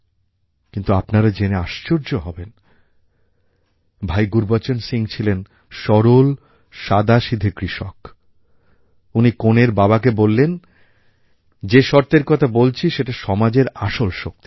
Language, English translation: Bengali, But, you will be surprised to know that Bhai Gurbachan Singh was a simple farmer and what he told the bride's father and the condition he placed reflects the true strength of our society